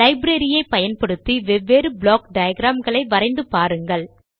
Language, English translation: Tamil, Using the library, create entirely different block diagrams